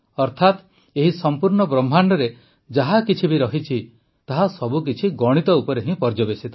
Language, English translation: Odia, That is, whatever is there in this entire universe, everything is based on mathematics